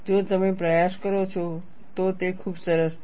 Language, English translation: Gujarati, If you make an attempt, it is very nice